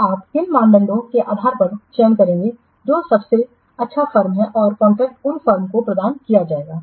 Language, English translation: Hindi, So, based on what criteria you will select that which is the best firm and the contract will be awarded to that firm